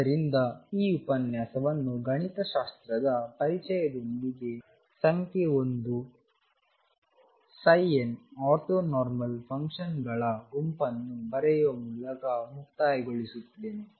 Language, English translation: Kannada, So, let me conclude this lecture with introduction to mathematics by writing number 1, psi n form a an ortho normal set of functions